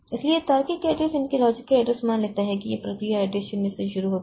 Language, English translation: Hindi, So, that logical address assumes that the process starts from address 0